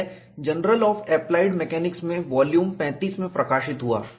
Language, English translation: Hindi, This appeared in Journal of Applied Mechanics in volume 35